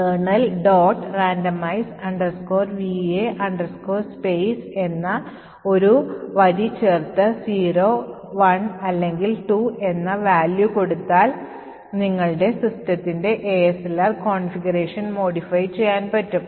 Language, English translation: Malayalam, randomize va space and specify a value of 0, 1 or 2, the support for ASLR can be modified for your particular system